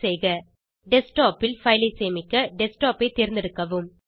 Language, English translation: Tamil, Select Desktop to save the file on Desktop